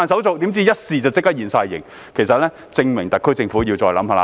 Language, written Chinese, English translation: Cantonese, 誰料一試便立即全部現形，證明特區政府要再思考。, This shows that the SAR Government needs to give further consideration